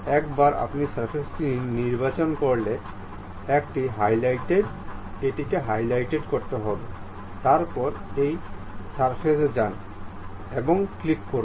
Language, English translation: Bengali, Once you select the surface it will be highlighted, then go to this surface, click